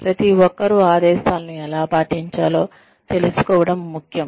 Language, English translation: Telugu, It is important for everybody to know, how to follow orders